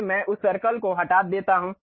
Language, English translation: Hindi, So, I remove that circle